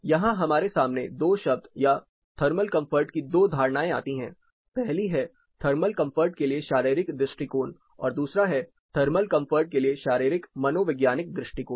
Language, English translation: Hindi, Here we come into two terms or two notions of thermal comfort one is the physiological approach to thermal comfort, next is physio psychological approach to thermal comfort